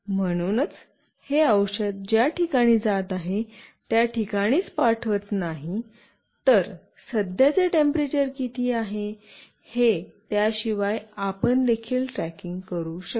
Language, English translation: Marathi, So, it is not only sending the location where this medicine is going through, you can also track apart from that what is the current temperature during that time etc